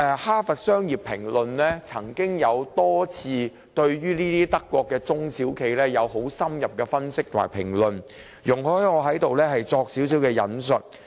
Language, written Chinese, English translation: Cantonese, 《哈佛商業評論》曾多次對德國這類型的中小企進行深入分析及評論，請容許我在此稍作引述。, Harvard Business Review HRB has time and again conducted in - depth analysis on this type of German SMEs . Please allow me to quote some of its views here